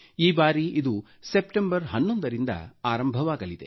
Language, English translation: Kannada, This time around it will commence on the 11th of September